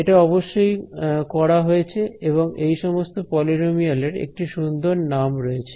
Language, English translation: Bengali, This has of course, been done and there is a very nice name for these polynomials